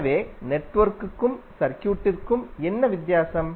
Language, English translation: Tamil, So what are the difference between network and circuit